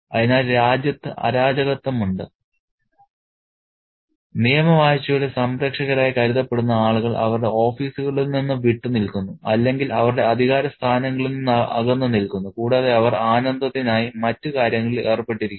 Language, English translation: Malayalam, So, we have chaos in the country and the people who are supposed to be the guardians who are supposed to be the upholders of the rule of law are away from their offices or away from their positions of power and they are involved in other pursuits of pleasure